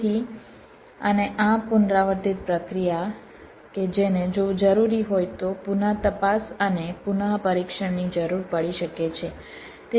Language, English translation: Gujarati, so and this iterative process which may need rechecking and retesting if required, as an when required